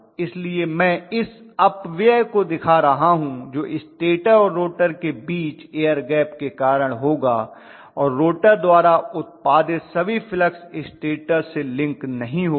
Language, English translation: Hindi, So I am showing this wastage what goes away because of the air gap that is existing between the stator and rotor all the flux produced by the rotor will not linked with stator